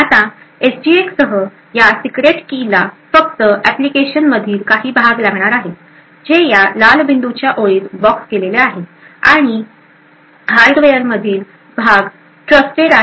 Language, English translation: Marathi, Now with SGX this secret key would only require that portions in the application which is boxed in this red dotted line and portions in the hardware is actually trusted